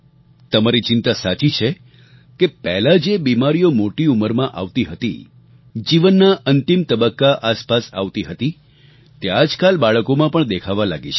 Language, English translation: Gujarati, Your concern is correct that the diseases which surfaced in old age, or emerged around the last lap of life have started to appear in children nowadays